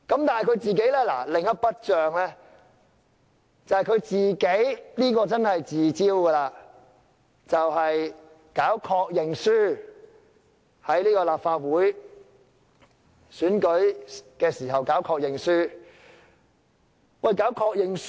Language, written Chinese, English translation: Cantonese, 但是，他另一筆帳卻是他自招的，便是搞確認書，亦即在立法會選舉時要求候選人簽署確認書。, However there is another score that he needs to settle and he only has himself to blame over it . That is his invention of the conformation form the signing of which is required of candidates in the Legislative Council Election